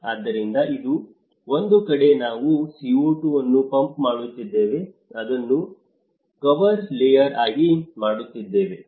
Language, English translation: Kannada, So, one side we are pumping the CO2, making it as a cover layer